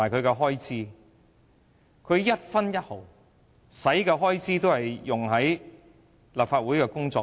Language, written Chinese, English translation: Cantonese, 他們所花的一分一毫也是用於立法會的工作。, Actually they have spent every penny on carrying out the work of the Legislative Council